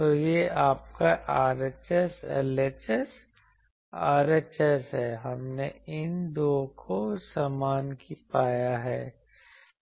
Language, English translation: Hindi, So, you can this is your RHS, LHS, RHS we have found equate these 2